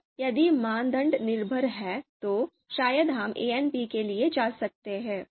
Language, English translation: Hindi, Now if criteria are dependent, then probably we can go for ANP